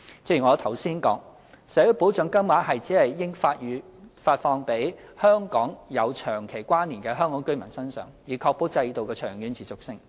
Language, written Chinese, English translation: Cantonese, 正如我剛才指出，社會保障金額只應發放予跟香港有長期關連的香港居民，以確保制度的長遠持續性。, Just as I pointed out earlier social security payments should only be granted to Hong Kong residents who have a long - term connection with Hong Kong in order to ensure the sustainability of the system in the long run